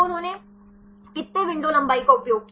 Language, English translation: Hindi, So, how many window lengths they used